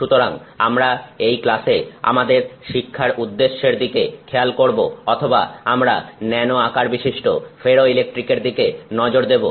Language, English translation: Bengali, So, we will look at in this class the learning objectives for us are we will look at the use of nano sized ferroelectrics